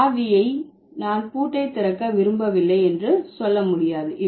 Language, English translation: Tamil, The key cannot say, oh yeah, I don't want to open the lock